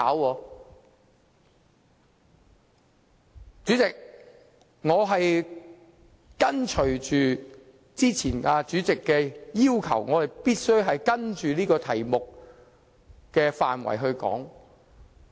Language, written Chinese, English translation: Cantonese, 代理主席，我已依循主席早前所作的要求，按照有關議題的範圍發言。, Deputy Chairman I have acceded to the Chairmans earlier request and spoken within the scope of the question